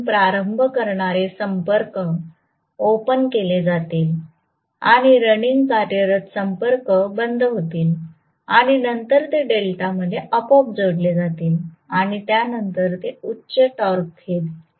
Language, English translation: Marathi, So starting contactors will be opened out, running contactors will be closed and then it will become connected automatically in delta and then you know it will pick up a higher torque after that right